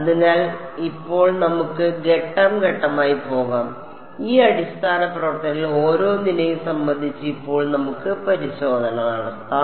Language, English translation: Malayalam, So, now, let us let us go step by step let us do testing now with respect to each of these basis functions ok